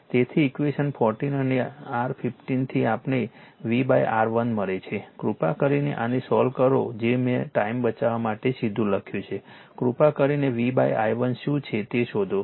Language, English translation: Gujarati, So, from equation 14 and your 15 we get V upon R 1, you please solve this one right I have written directly to save time you please find out what is v upon i 1